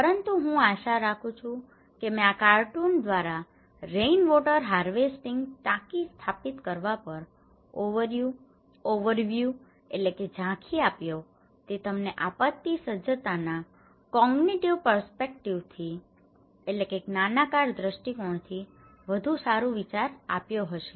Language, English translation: Gujarati, But I hope I gave a more comprehensive overview through this cartoon on installing rainwater harvesting tank and that gives you much better idea about the overall picture of cognitive perspective of disaster preparedness